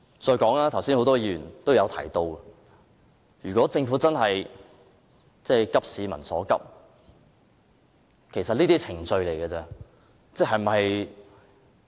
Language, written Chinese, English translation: Cantonese, 再者，剛才很多議員也有提及，如果政府真正急市民所急，這些只是程序而已。, Moreover many Members mentioned just now that if the Government truly cares about addressing the peoples pressing needs it is only a matter of procedure